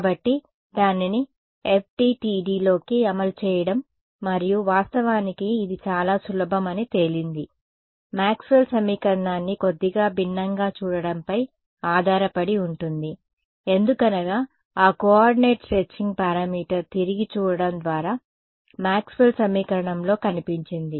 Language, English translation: Telugu, So, implementing it into FDTD and turns out its actually very simple just depends on us looking at Maxwell’s equation a little bit differently; why because that coordinate stretching parameter it appeared in Maxwell’s equation just by relooking right